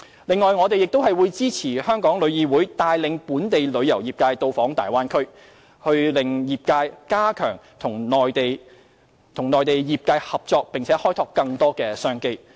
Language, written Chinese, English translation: Cantonese, 此外，我們會支持香港旅遊業議會帶領本地旅遊業界到訪大灣區，讓業界加強與內地業界合作，開拓更多商機。, In addition we will support the Travel Industry Council of Hong Kong TIC in leading the local tourism industry to visit Bay Area to enable the industry to enhance collaboration with its Mainland counterparts in order to develop more business opportunities